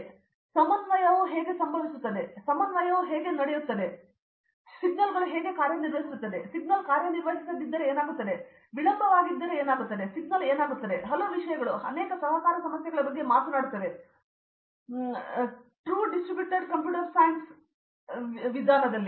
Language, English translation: Kannada, So, how coordination happens, how distributed coordination happens, how clocking, how signals work, what happens if the signal is not obeyed, what happens if there is a delay, what happens signals while so, many things talk about many, many coordination problems in the real Distributor Computer Science